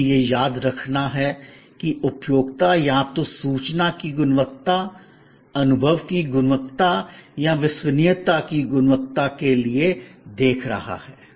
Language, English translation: Hindi, Always, remembering that the consumer is looking either for the information quality, experience quality or credence quality